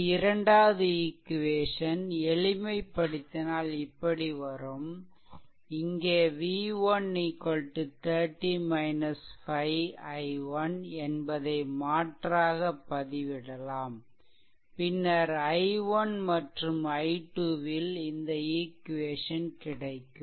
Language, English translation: Tamil, And here you have to substitute v 1 is equal to that v 1 is equal to your 30 minus 5 i 1 there you substitute such that you will get any equation in terms of i 1 and i 2 right